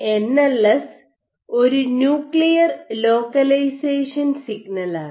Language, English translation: Malayalam, Now, NLS is nuclear localization signal ok